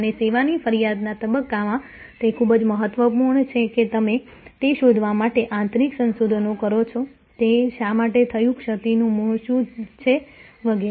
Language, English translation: Gujarati, And in the service complains stage, very important that you do internal research to find out, why it happened, what is the origin of the lapse and so on